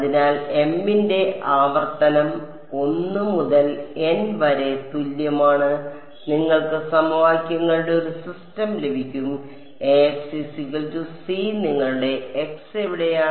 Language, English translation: Malayalam, So, repeat for m is equal to 1 to N and you get a system of equations, A x is equal to we will call it c and where your x’s are what